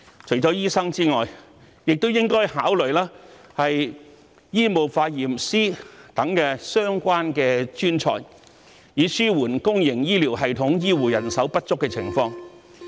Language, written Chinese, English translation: Cantonese, 除了醫生外，政府亦應考慮引入醫務化驗師等相關專才，以紓緩公營醫療系統醫護人手不足的情況。, In addition to doctors the Government should also consider introducing such related professionals as medical laboratory technologists to alleviate the shortage of healthcare manpower in the public healthcare system